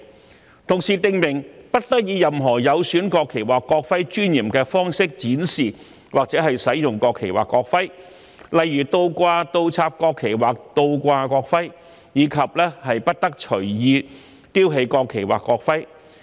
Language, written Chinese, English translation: Cantonese, 同時，《條例草案》訂明不得以任何有損國旗或國徽尊嚴的方式展示或使用國旗或國徽，例如倒掛、倒插國旗或倒掛國徽，以及不得隨意丟棄國旗或國徽。, Meanwhile the Bill also stipulates that a national flag or a national emblem must not be displayed or used in any way that undermines the dignity of the national flag or the national emblem such as displaying a national flag or a national emblem upside down and must not be discarded at will